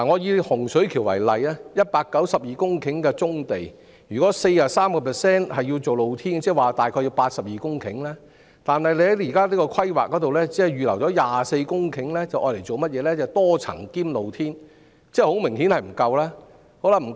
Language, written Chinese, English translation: Cantonese, 以洪水橋為例 ，192 公頃棕地的 43% 若用作露天營運，即大約涉及82公頃土地，但當局現時的規劃只預留了24公頃土地作多層及"露天貯物"用途，明顯並不足夠。, Take the Hung Shui Kiu project as an example if 43 % of the 192 - hectare brownfield sites are to be used for open - air operations about 82 hectares of land will be needed . However under the current planning only 24 hectares of land has been reserved for the development of MSBs and open storage . It is obviously not enough